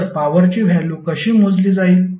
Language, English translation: Marathi, So, how will calculate the value of power